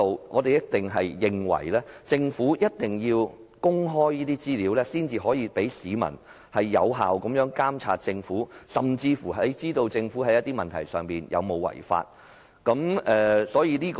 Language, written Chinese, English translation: Cantonese, 我們認為，政府必須公開資料，市民才可以有效監察政府，甚至了解政府在某些問題上有否違法。, We think that the Government should disclose information so that the public can monitor the Government effectively or even understand whether the Government has contravened the law in certain issues